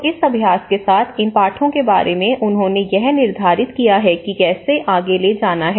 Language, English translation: Hindi, So, what about these lessons in these with the practice, they have set up how to take it forward